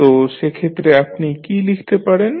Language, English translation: Bengali, So, in that case what you can write